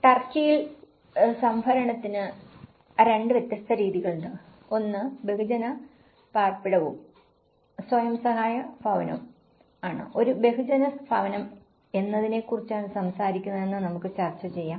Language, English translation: Malayalam, In turkey, there are 2 different methods of procurement; one is mass housing and the self help housing, let’s discuss about what a mass housing talks about